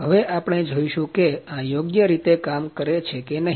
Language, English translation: Gujarati, Now we will see that whether it is working properly or not